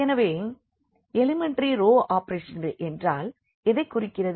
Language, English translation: Tamil, So, what do you mean by elementary row operations